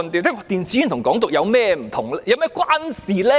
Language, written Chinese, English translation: Cantonese, 電子煙和"港獨"有何關係？, What is the relationship between e - cigarettes and Hong Kong independence?